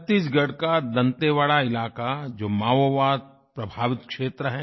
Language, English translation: Hindi, Dantewada in Chattisgarh is a Maoist infested region